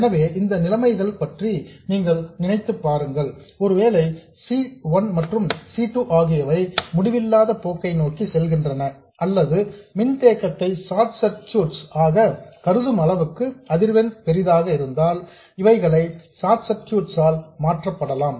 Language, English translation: Tamil, So, if you assume these conditions, if you assume that C1 and C2 are tending to infinity or that the frequency is large enough for you to treat the capacitance as short circuits, these can be replaced by short circuits